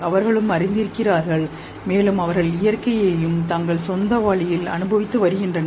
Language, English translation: Tamil, They are also aware, they are also experiencing nature in their own way